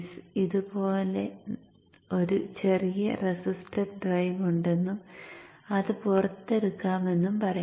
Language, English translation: Malayalam, So let us say we have a small register drive like this and I bring that out